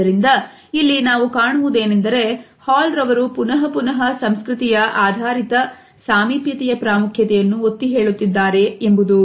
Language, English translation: Kannada, So, again we find that Hall has repeatedly highlighted the significance of cultural understanding of proximity